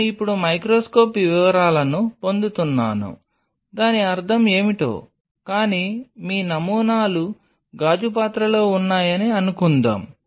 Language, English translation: Telugu, I am now getting the microscope detail what does that mean, but that is the one which will tell you that suppose your samples are in a glass dish